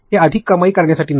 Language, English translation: Marathi, It is not for generating more revenue